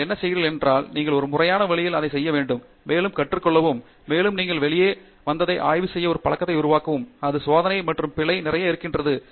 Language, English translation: Tamil, Whatever you are doing, you have to do it in a systematic way and learn to and also, make it a habit to analyze what you get out of and then it is a lot of a trial and error